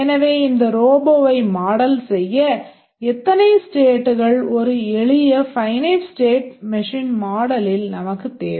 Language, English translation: Tamil, So, to model this robot how many states we need in a simple finite state machine model